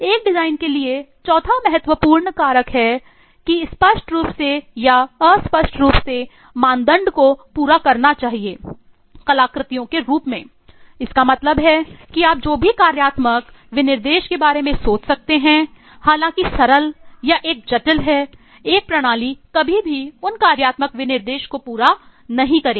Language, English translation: Hindi, The fourth critical factor for a design is it must implicitly or explicitly satisfy the criteria in the form of artifacts which mean that eh you whatever functional specification you think of however sample or have a complex, a system will never meet exactly those functional specification